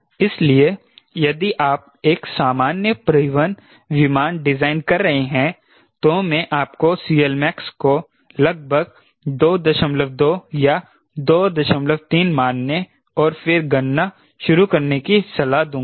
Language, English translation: Hindi, so if you are designing a regular transport aircraft, i will recommend you you assume c l max to be around two point two or two point three, right, and then start calculation